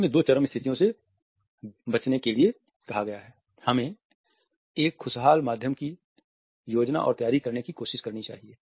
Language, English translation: Hindi, In order to avoid these two situations of extreme, we should try to plan and prepare for a happy medium